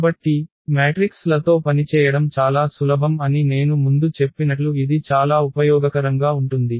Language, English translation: Telugu, So, that is very useful as I said before this working with matrices are much easier